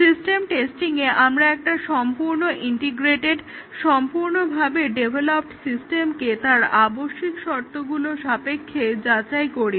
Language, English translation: Bengali, So, here in system testing, we validate a fully integrated, a fully developed system against its requirements